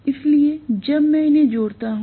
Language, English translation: Hindi, So, when I add them